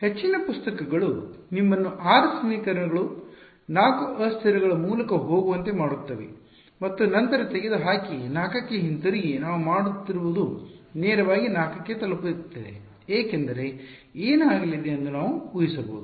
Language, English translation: Kannada, Most of the books will make you go through 6 equations, 4 variables and then eliminate and come back to 4 what we are doing is directly arriving at 4 because we can anticipate what is going to happen ok